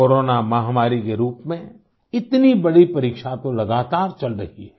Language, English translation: Hindi, In the form of the Corona pandemic, we are being continuously put to test